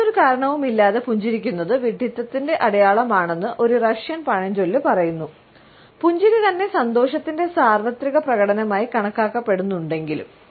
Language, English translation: Malayalam, A Russian proverb says that smiling with no reason is a sign of stupidity; even though their smile itself is considered to be a universal expression of happiness